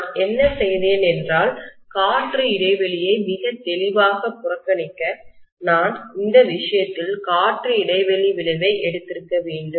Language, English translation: Tamil, What I have done is, to neglect the air gap; very clearly I should have taken the air gap effect in this case